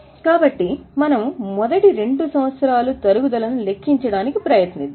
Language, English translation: Telugu, So, we will try to calculate depreciation for first two years